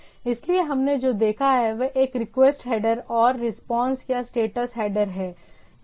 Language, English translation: Hindi, So, what we have seen request header and the response or status header